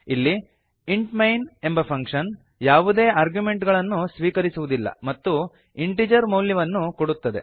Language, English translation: Kannada, Here the int main function takes no arguments and returns a value of type integer